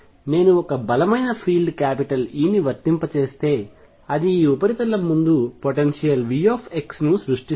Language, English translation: Telugu, If I apply a strong field e it creates a potential V x wearing in front of this surface